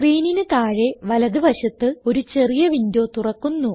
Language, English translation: Malayalam, A small window opens at the bottom right of the screen